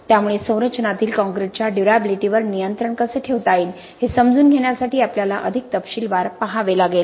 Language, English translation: Marathi, So that is something which we have to look at in more detail to try and understand how we can control the durability of the concrete in the structure